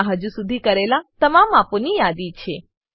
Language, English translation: Gujarati, It has a list of all the measurements made so far